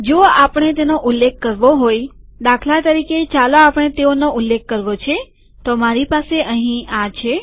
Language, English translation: Gujarati, We want to refer to them, so for example, lets say we want to refer to them, so I have this here